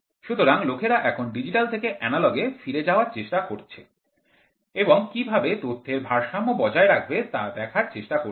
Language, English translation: Bengali, So, people are trying to go back from digital to analogous now and see how to balance the data